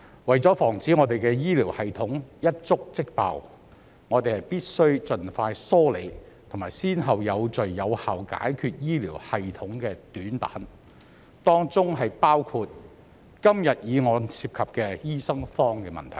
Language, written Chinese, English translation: Cantonese, 為了防止我們的醫療系統一觸即爆，我們必須盡快梳理及有序有效地解決醫療系統的短板，當中包括今天議案涉及的醫生荒問題。, To prevent our healthcare system from collapsing in an instant we must expeditiously sort out and address in an orderly and effective way weaknesses in our healthcare system including the shortage of doctors mentioned in todays motion